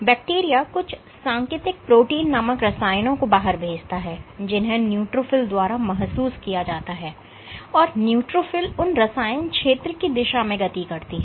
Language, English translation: Hindi, So, the bacteria actually sends out some chemokines which are sensed by the neutrophil and the neutrophil moves in the direction of the chemical field